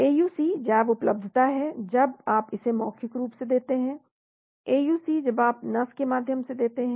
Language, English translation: Hindi, The bioavailability is AUC when you give it orally/AUC when you give intravenously